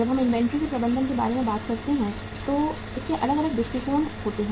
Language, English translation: Hindi, When we talk about the management of inventory it has different perspectives